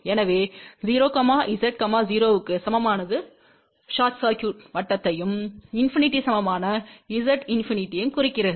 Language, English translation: Tamil, So, 0 Z equal to 0 implies short circuit, Z equal to infinity implies infinity